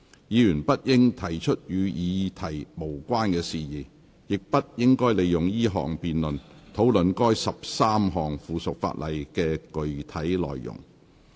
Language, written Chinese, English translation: Cantonese, 議員不應提出與議題無關的事宜，亦不應利用這項辯論，討論該13項附屬法例的具體內容。, Members should not raise issues irrelevant to the topic and should not make use of this debate to discuss the specific contents of the 13 items of subsidiary legislation